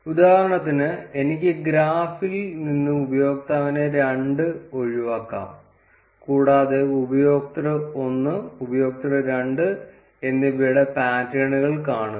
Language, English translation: Malayalam, For instance, I can skip the user 2 from the graph, and see the patterns for user 1 and user 2